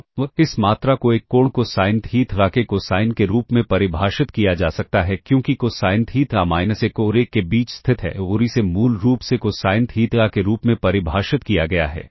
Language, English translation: Hindi, So, this quantity can be defined as the cosine of an angle cosine theta because cosine theta lies between minus 1 and one and this is basically defined as cosine theta